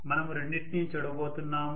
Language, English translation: Telugu, So we will be looking at both of them